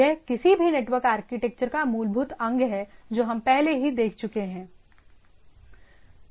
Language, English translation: Hindi, So buildings blocks of any network architecture that we have already seen